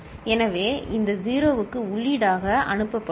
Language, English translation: Tamil, So, this 0 will be fed in